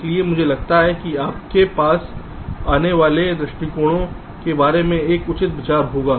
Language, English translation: Hindi, so i think, ah, you will have a fair idea regarding the approaches that are followed